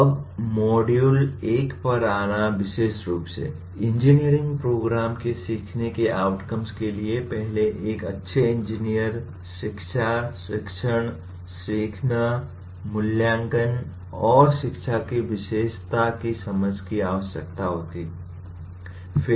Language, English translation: Hindi, Now coming to module 1 a little more specifically, learning outcomes of an engineering program, first require an understanding of characteristic of a good engineer, education, teaching, learning, assessment, and instruction